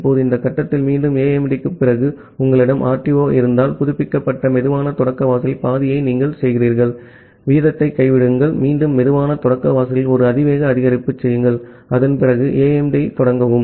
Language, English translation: Tamil, Now, again after AIMD at this point, if you have an RTO, then you make half of that at the updated slow start threshold, drop the rate, again make an exponential increase up to slow start threshold, and start AIMD after that